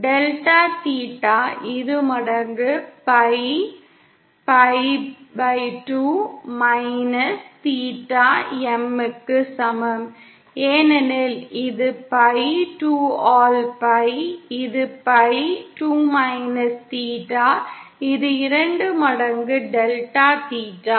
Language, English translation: Tamil, Delta theta is equal to twice of pi by 2 minus theta M, because this is pi by 2, this is pi by 2 minus theta, twice of that is delta theta